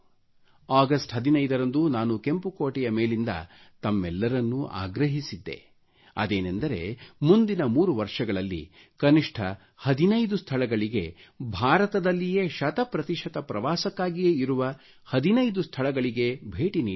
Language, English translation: Kannada, On 15th August, I urged all of you from the ramparts of the Red Fort to visit at least 15 places within a span of the next 3 years, 15 places within India and for 100% tourism, visit these 15 sites